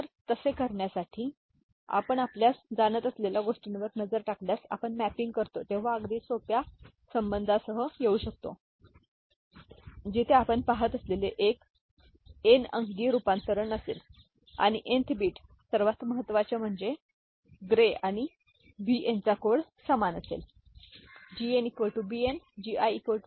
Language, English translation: Marathi, So, to do that if we look at the you know, the mapping the we can come up with a very simple relationship where the nth bit, the most significant bit, right, if it is a n digit conversion that we are looking at that means the gray code of that and the Bn will be exactly the same, ok